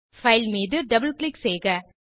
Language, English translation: Tamil, Double click on the file